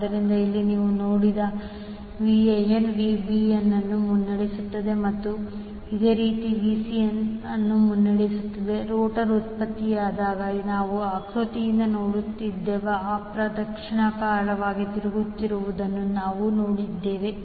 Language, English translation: Kannada, So, here we have seen that Van leads Vbn and Vbn leads Vcn in this sequence is produced when rotor we have just seen that it is rotating in the counterclockwise as we have seen from the figure